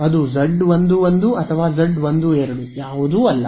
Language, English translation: Kannada, It is neither Z 1 1 nor Z 1 2